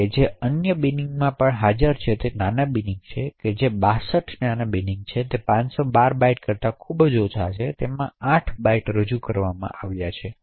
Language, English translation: Gujarati, Now the other bins that are present are the small bins there are 62 small bins which are less than 512 bytes and there are chunks of 8 bytes presented in them